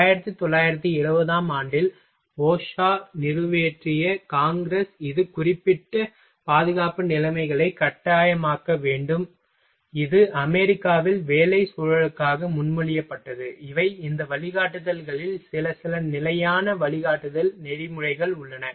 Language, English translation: Tamil, These are the congress passed OSHA in 1970 to mandate specific safety conditions that must be met this is was proposed in America USA for working environment, these are the some in this guidelines there are some standard guideline protocol is there for a to a make a working better work environment